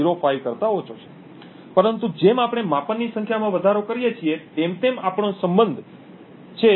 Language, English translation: Gujarati, 05, but as we increase the number of measurements we have a correlation which is quite high of 0